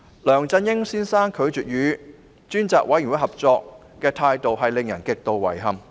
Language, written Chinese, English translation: Cantonese, 梁振英先生拒絕與專責委員會合作的態度令人極度遺憾。, Mr LEUNG Chun - yings refusal to cooperate with the Select Committee is totally deplorable